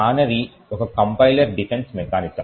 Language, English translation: Telugu, So, canary is a compiler defense mechanism